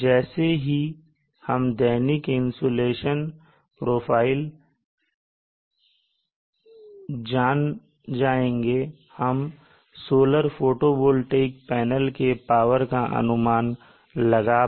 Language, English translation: Hindi, Once we know the daily insulation profile, we will be able to derive the solar photovoltaic panel requirement in terms of peak power